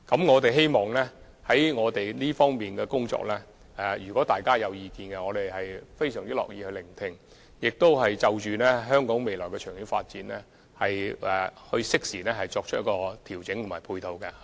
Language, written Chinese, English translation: Cantonese, 我們非常樂意聆聽大家對這方面工作的任何意見，並會就香港未來的長遠發展適時作出調整和配套。, We are happy to listen to Members views in this regard and make timely adjustments to and formulate support measures for the long - term development of Hong Kong